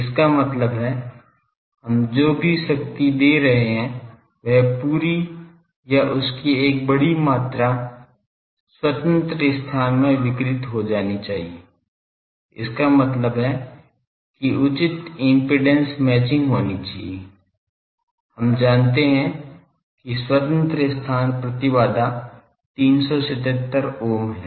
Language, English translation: Hindi, That means, whatever power we are giving the whole thing should be or sizable amount of that should be radiated to the free space; that means, that there should be proper impedance matching; we know the free space impedance is 377 ohm